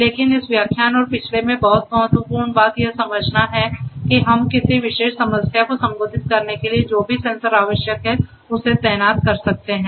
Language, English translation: Hindi, But what is very important in this lecture and the previous one is to understand that we can deploy whatever sensors are required for addressing a particular problem